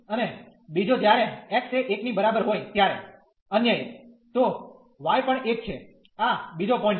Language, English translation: Gujarati, And the other one when x is equal to 1, so y is also 1 so, this is the another point